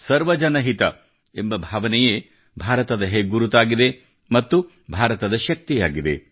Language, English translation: Kannada, This spirit of Sarvajan Hitaaya is the hallmark of India as well as the strength of India